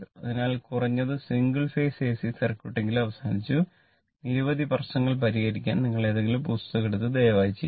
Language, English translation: Malayalam, So, at least single phase ac circuit is over and you will solve many problems take any book and you please do it